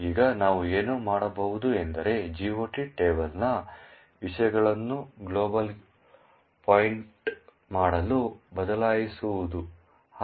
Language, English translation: Kannada, Now what we can do is change the contents of the GOT table to point to glob